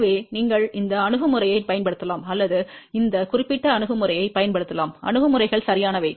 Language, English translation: Tamil, So, you can use either this approach or you can use this particular approach, both the approaches are correct